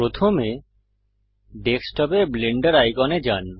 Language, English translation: Bengali, Right Click the Blender icon